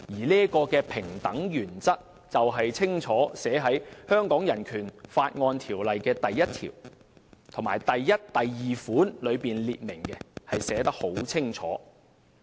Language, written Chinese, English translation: Cantonese, 這個平等原則已在香港人權法案中第一條的第一及二款清楚列明，寫得十分清楚。, This principle of equality is spelt out clearly in Article 11 and 2 of the Hong Kong Bill of Rights